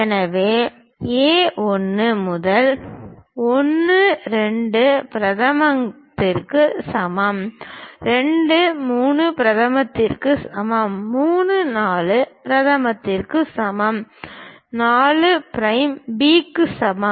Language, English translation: Tamil, So, A 1 prime equal to 1 2 prime; is equal to 2 3 prime; equal to 3 4 prime; equal to 4 prime B